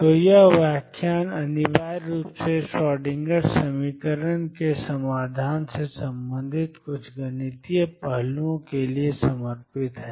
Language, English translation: Hindi, So, this lecture is essentially devoted to some mathematical aspects related to the solutions of the Schrodinger equation